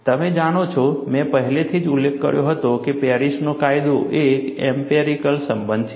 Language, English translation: Gujarati, You know, I had already mentioned, that Paris law is an empirical relation